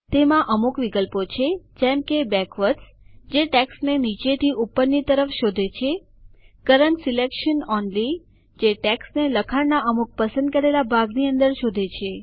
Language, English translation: Gujarati, It has options like Backwards which searches for the text from bottom to top, Current selection only which searches for text inside the selected portion of the text